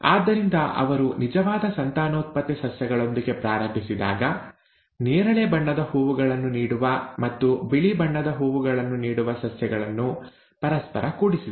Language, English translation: Kannada, So when he started out with true breeding plants, the ones that yielded purple colour flowers and the ones that yielded white , white colour flowers, and he crossed them with each other